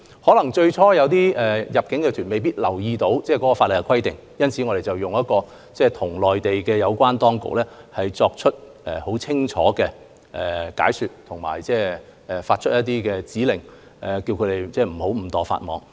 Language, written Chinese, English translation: Cantonese, 有部分入境旅行團最初可能沒有留意法例規定，因此我們已向內地有關當局作出清晰解說及發出指令，以免他們誤墮法網。, Some inbound tour groups might have overlooked the statutory requirements at the very beginning so we have offered clear explanations to the relevant Mainland authorities and issued directives to avoid their unwitting violation of the law